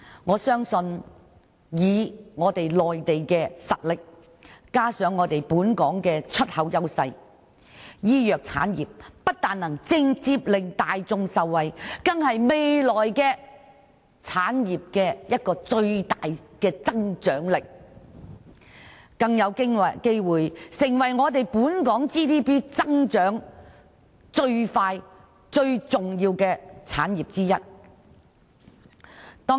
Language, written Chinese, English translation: Cantonese, 我相信以中國內地的實力加上本港的出口優勢，醫藥產藥不單會直接令大眾受惠，更是未來香港產業一個最大的增長動力，更有機會成為本港 GDP 增長最快、最重要的產業之一。, I believe that given the strength of Mainland China and coupled with Hong Kongs export edge the pharmaceutical industry will not only benefit the public directly but also give impetus to the development of Hong Kong industries in future such that it may even have the chance to become one of the industries with the fastest growth and utmost importance in our GDP